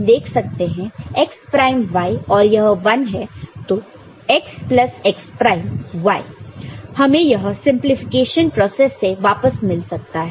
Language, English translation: Hindi, So, this x plus x prime y, we can get back this one that is a simplification process